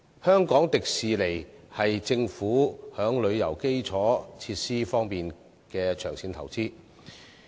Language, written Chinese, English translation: Cantonese, 香港迪士尼是政府在旅遊基礎設施方面的長線投資。, The Hong Kong Disneyland Resort HKDL is a long - term investment of the Hong Kong Government in tourism infrastructure